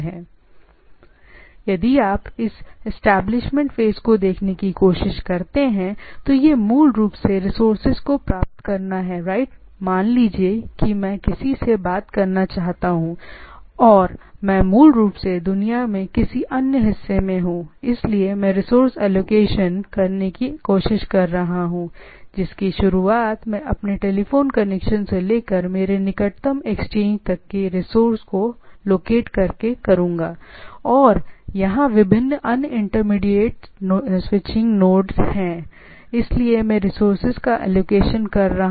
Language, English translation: Hindi, Or, in other words if you try to see this establishment phase is basically acquire the resources right, suppose I want to talk to somebody so, I basically some other part of the world, so, I what I am trying to do is allocating the resources from my starting from my telephone connection to my nearest exchange and there are different other intermediate switching nodes so, I am allocating the resources